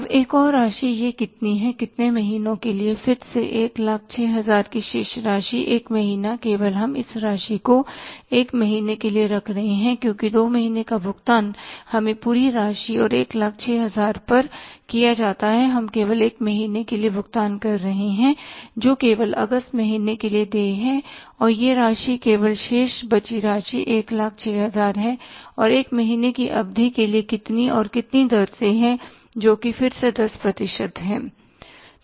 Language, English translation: Hindi, One month only that we are keeping this amount for 1 month that is because 2 months we have paid on the whole amount and 1,000 we are paying only for one month that is due only for the month of August only and this amount is only the balance left is 1,000 and for a period of one month at the rate of how much again that is at the rate of 10%